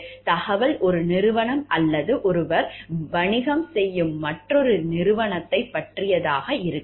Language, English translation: Tamil, The information might concern ones company or another company with which one does business